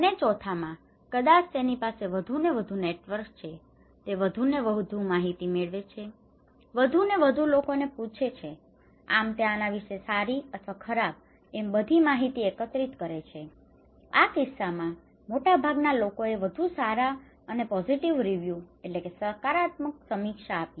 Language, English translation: Gujarati, So, in time 4, maybe he has more and more and more networks, more and more informations, asking more and more people so, he then collecting more informations either good or bad about this so, in this case, most of the people give a better review, a positive review, okay